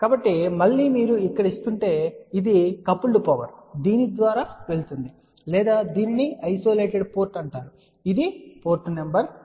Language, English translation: Telugu, So, again so if you are feeding it over here this is the coupled power which is going through here or this is known as isolated port which is port number 4